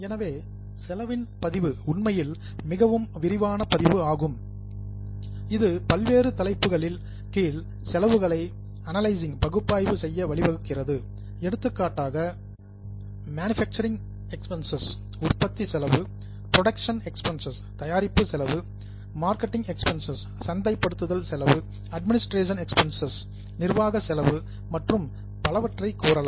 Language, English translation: Tamil, So, the recording of cost is actually more detailed recording it further leads to analyzing the cost under different heads for example say manufacturing costs production cost marketing cost admin cost and so on based on this analysis finally you come out with various financial statements like a cost sheet